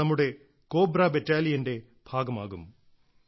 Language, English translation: Malayalam, They will be a part of our Cobra Battalion